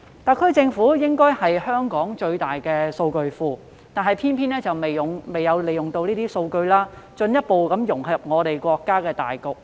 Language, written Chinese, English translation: Cantonese, 特區政府理應具有香港最大的大數據庫，但卻偏偏沒有利用相關數據以進一步融入國家的發展大局。, The SAR Government should have possessed the largest database for big data in Hong Kong . But it has nonetheless failed to apply the relevant data to achieve further integration into the overall development setting of the country